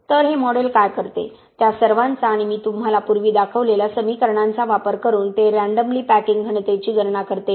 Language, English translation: Marathi, So what this model does is using all of those and the equations I showed you earlier it calculates what is called the random packing density ok